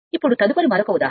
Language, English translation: Telugu, Now, next is another example